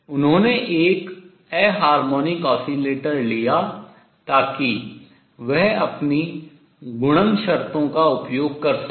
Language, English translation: Hindi, He took an harmonic oscillator so that he could use his product conditions